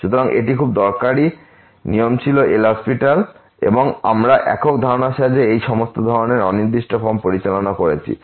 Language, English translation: Bengali, So, that was a very useful rule L’Hospital and we have handled with the help of the single concept all these types of indeterminate form